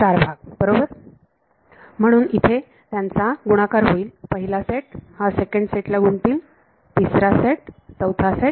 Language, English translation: Marathi, 4 parts right; so, these will multiply the first set, these will multiply the second set, third set and fourth set right